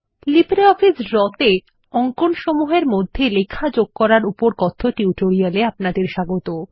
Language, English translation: Bengali, Welcome to the Spoken Tutorial on Inserting Text in Drawings in LibreOffice Draw